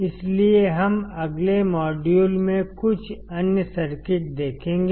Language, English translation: Hindi, So, we will see few other circuits in the next module